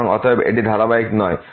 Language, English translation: Bengali, So, therefore, this is not continuous